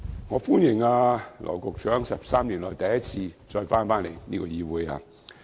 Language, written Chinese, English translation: Cantonese, 我歡迎羅局長在13年後重返立法會。, I welcome Secretary Dr LAW back to the Legislative Council after 13 years